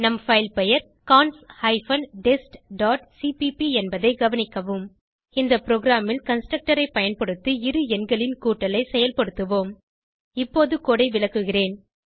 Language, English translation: Tamil, Note that our filename is cons hyphen dest dot cpp In this program we will perform the addition of two numbers using constructor